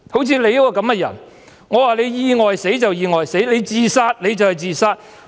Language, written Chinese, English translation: Cantonese, 像你這樣的人，說你意外死你就意外死，說你是自殺你就是自殺。, For people like you if I say you died in an accident it will be taken as read; if I say you killed yourself it will be taken as read too